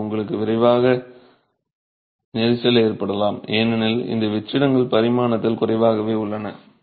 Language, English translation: Tamil, So, you can have congestion quickly because these voids are limited in dimension